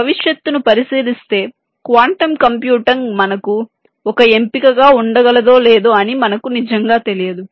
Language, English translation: Telugu, looking into the feature, we really do not can quantum computing be an option for us